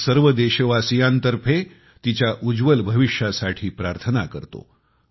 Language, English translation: Marathi, On behalf of all countrymen, I wish her a bright future